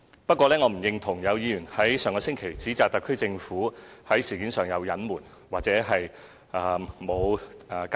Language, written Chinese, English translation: Cantonese, 不過，我並不認同有議員在上星期指摘特區政府在事件上有所隱瞞，或無好好交代。, However I cannot agree with the allegations made by some Members last week which accused the SAR Government of concealing the facts or failing to provide a proper account of the incident